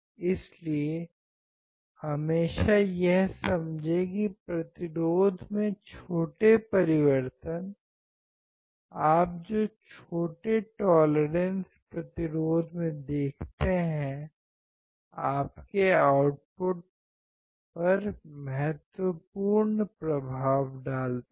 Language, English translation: Hindi, So, always understand that the small changes, small tolerances that you see in the resistance value will have a significant difference on your overall output